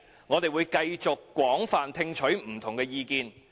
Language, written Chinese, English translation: Cantonese, 我們會繼續廣泛聽取不同的意見。, We will continue to listen to different views from various sectors